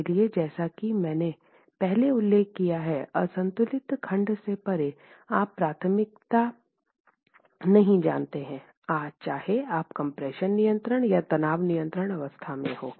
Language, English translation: Hindi, So, since as I mentioned earlier, in the balance section, beyond the balance section, you really do not know a priori whether you are in the compression control state or the tension control state